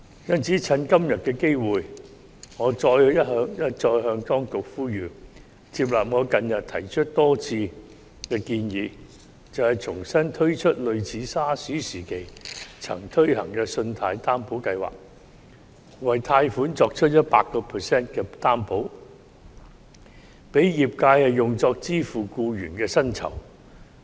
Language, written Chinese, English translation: Cantonese, 因此，藉着今天的機會，我一再向當局呼籲，接納我近日多次提出的建議，重新推出類似 SARS 時期曾推行的信貸擔保計劃，為貸款作出 100% 擔保，讓業界用作支付僱員的薪酬。, Hence the industry has nowhere to turn for assistance . Therefore I wish to take todays opportunity to urge the Administration yet again to take on board my suggestion which I have made repeatedly recently to launch a loan guarantee scheme similar to that during the SARS outbreak to provide 100 % guarantee to loans for payment of employee salaries